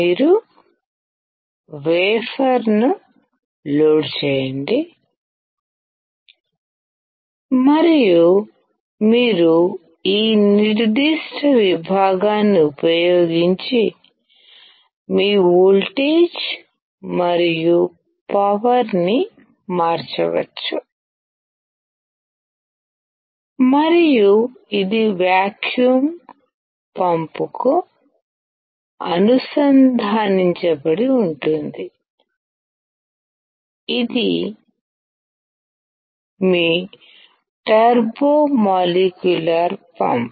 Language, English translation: Telugu, You load the wafer and you can change your voltage and power using this particular section and this is connected to the vacuum pump, which is your turbo molecular pump